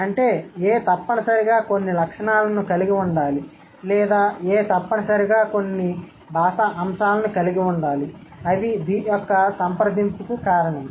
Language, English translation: Telugu, So, A must have some features or A must have some linguistic elements or items which are the reason of the birth of B